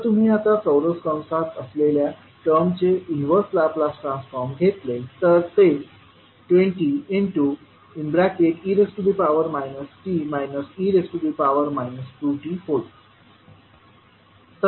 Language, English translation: Marathi, So if you take now the inverse Laplace transform of the term which is there in the square bracket, it will become twenty e to the power minus t minus e to the power minus two t